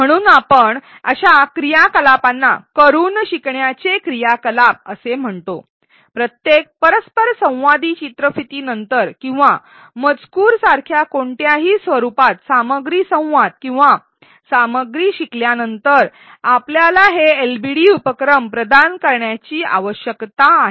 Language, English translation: Marathi, We call such activities learning by doing activities, after each interactive video or learning dialog or content in any format even such as text, we need to provide these LBD activities